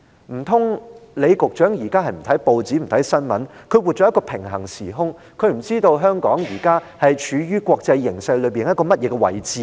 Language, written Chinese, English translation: Cantonese, 難道李局長現時不看報章、不看新聞，活在一個平衡時空，不知道香港現時處於何種國際形勢和位置嗎？, Could it be that Secretary LEE neither reads newspapers nor watches news reports now? . Could it be that he lives in a parallel universe having no idea about what sort of international situation and position Hong Kong is currently in?